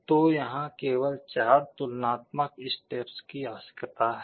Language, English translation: Hindi, So, here only 4 comparison steps are required